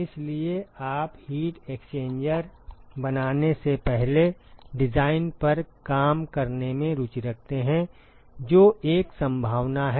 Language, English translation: Hindi, So, you are interested to work out the design before you fabricate the heat exchanger that is one possibility